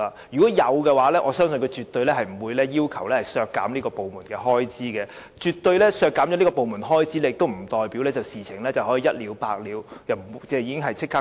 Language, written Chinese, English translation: Cantonese, 若有，相信他們絕對不會要求削減這個部門的開支，即使削減了部門開支，亦不代表事情便可以一了百了，立即獲得解決。, I think that if they have they will surely not seek to cut the expenditure of the Joint Office . The point is that even if the expenditure of this body is really cut the problem will still be there and cannot be resolved overnight